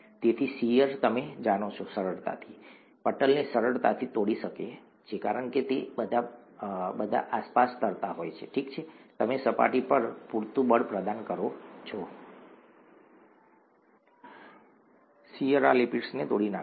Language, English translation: Gujarati, Therefore shear, you know, can easily, can quite easily tear the membrane apart because they are all floating around, okay, you provide enough surface force, the shear is going to tear apart these lipids